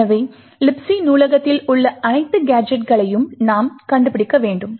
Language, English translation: Tamil, So, we need to find all the gadgets that the libc library contains